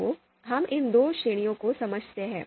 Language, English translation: Hindi, So, let’s understand these two categories